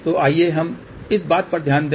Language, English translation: Hindi, So, let us just look into this thing